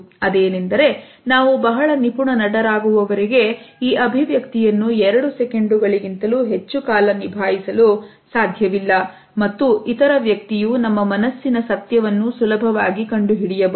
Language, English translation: Kannada, Unless and until we are very accomplished actors, we cannot continue this expression for more than two minutes perhaps and the other person can easily find out the truth behind us